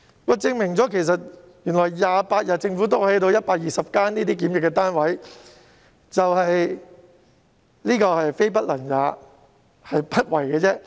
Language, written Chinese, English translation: Cantonese, 這證明政府只需要28天便能興建120個檢疫單位，可見政府非不能也，是不為也。, This demonstrates that the Government is capable of producing 120 quarantine units within only 28 days . Evidently it is not a question of capability but one of readiness on the part of the Government